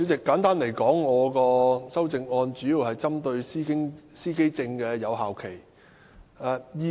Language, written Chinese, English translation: Cantonese, 簡單而言，我的修正案主要針對司機證的有效期。, In simple terms my amendment primarily focuses on the validity period of driver identity plates